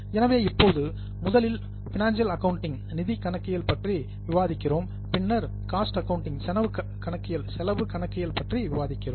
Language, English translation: Tamil, So, now first we discussed financial accounting, then we discussed cost accounting